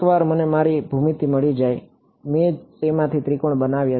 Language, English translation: Gujarati, Once I have got my geometry, I have made triangles out of it